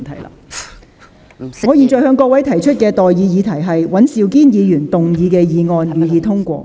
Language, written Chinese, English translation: Cantonese, 我現在向各位提出的待議議題是：尹兆堅議員動議的議案，予以通過。, I now propose the question to you and that is That the motion moved by Mr Andrew WAN be passed